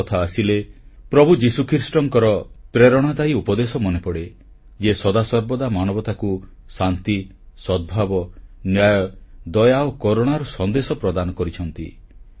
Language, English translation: Odia, The very mention of Easter reminds us of the inspirational preaching of Lord Jesus Christ which has always impressed on mankind the message of peace, harmony, justice, mercy and compassion